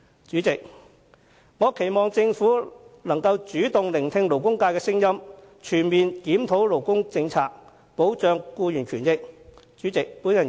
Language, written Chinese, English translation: Cantonese, 主席，我希望政府主動聆聽勞工界的聲音，全面檢討勞工政策，以及保障僱員的權益。, President I hope that the Government can take the initiative to listen to the voices of the labour sector conduct a comprehensive review of its labour policy and safeguard the rights and interests of employees